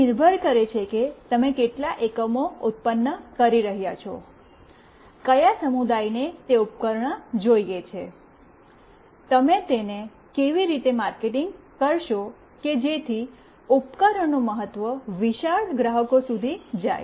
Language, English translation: Gujarati, It depends like for how many units you are producing, which community wants that device, how will you market it such that the importance of the device goes to the huge customers